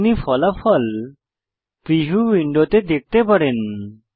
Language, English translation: Bengali, You can see the result in the preview window